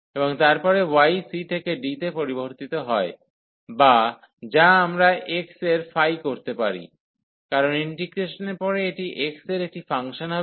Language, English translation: Bengali, And then y varies from c to d or which we can call like phi of x, so because this will be a function of x after the integration